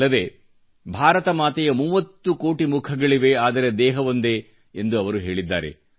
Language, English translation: Kannada, And he said that Mother India has 30 crore faces, but one body